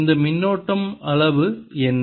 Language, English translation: Tamil, and what is the amount of these currents